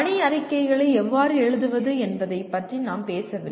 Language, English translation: Tamil, We are not talking about how to write mission statements